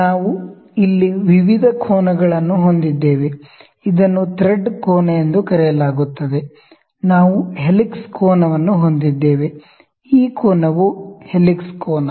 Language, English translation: Kannada, So, we have various angles here this is known as thread angle we have helix angle, this angle is helix angle, ok